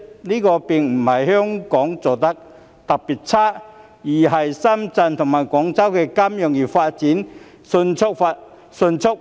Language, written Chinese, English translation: Cantonese, 這並非香港做得差，而是因為深圳及廣州金融業發展迅速。, This is not because of Hong Kong being poor in its performance but rather the rapid development of the financial industry in Shenzhen and Guangzhou